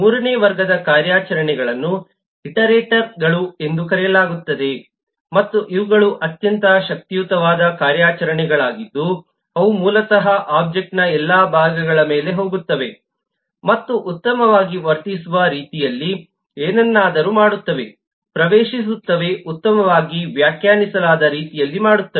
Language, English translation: Kannada, a third class of operations are called iterators and these are very powerful eh type of operations which are basically goes over all parts of an object and does something, accesses, performs something in a well behaved manner, in a well defined manner